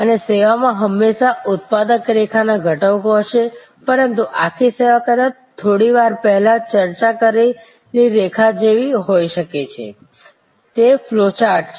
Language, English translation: Gujarati, And there will be always production line components in the service, but the whole service maybe very much like a line that we discussed a little while back, it is a flow chart